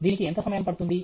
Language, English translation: Telugu, How much time it takes